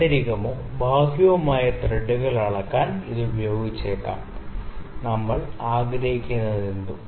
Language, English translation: Malayalam, It may be used to measure the internal or external threads, both whatever we desire